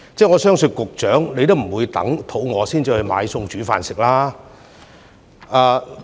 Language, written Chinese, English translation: Cantonese, 我相信局長也不會等到肚子餓才去買菜煮飯吧？, I believe the Secretary would not wait until she is hungry to go grocery shopping and cook would she?